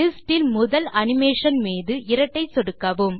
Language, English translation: Tamil, Double click on the first animation in the list